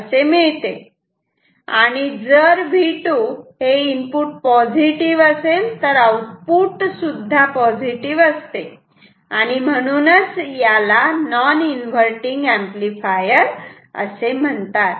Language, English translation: Marathi, And, if V 2 is positive output is also going to be positive, that is why it is called non inverting ok